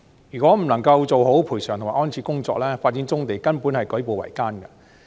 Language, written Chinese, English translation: Cantonese, 如果不能夠做好賠償及安置的工作，發展棕地根本是舉步維艱。, If compensation and relocation issues are not handled properly brownfield development can hardly proceed